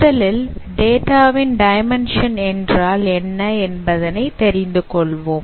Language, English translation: Tamil, So, let us first understand that what is meant by dimension of a data